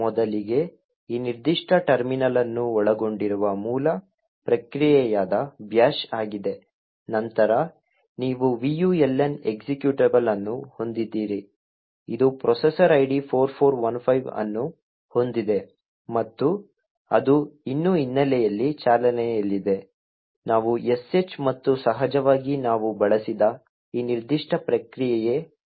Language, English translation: Kannada, First, is the bash which is the original process comprising of this particular terminal, then you have the vuln executable, which has a process ID 4415 and it is still running in the background, we have sh and of course this particular process PS which we have just used